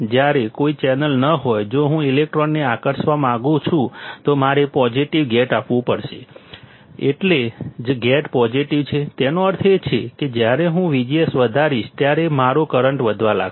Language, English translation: Gujarati, When there is no channel, if I want to attract electron; I have to apply positive gate that is why gate is positive; that means, when I increase V G S my current will start increasing